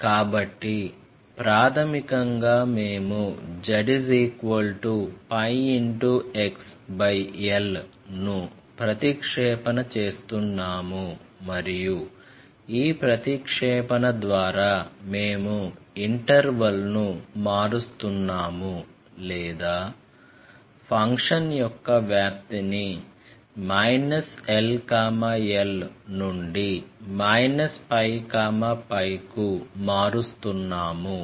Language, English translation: Telugu, We are making a substitution, z equals pi x by l and by this substitution, we are changing the interval of the or the range of the function from minus l to l to minus pi to pi